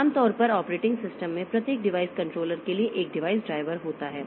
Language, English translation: Hindi, Typically operating systems have a device driver for each device controller